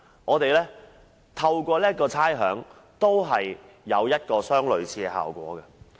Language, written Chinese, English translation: Cantonese, 政府透過退還差餉，也達到類似的效果。, In both cases rates rebates by the Government have achieved similar effect